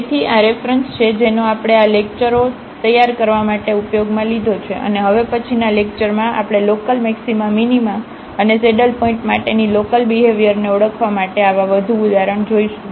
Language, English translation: Gujarati, So, these are the references we have used to prepare these lectures and in the next lecture now we will see more such examples to identify the local the behavior for the local maxima minima and the saddle point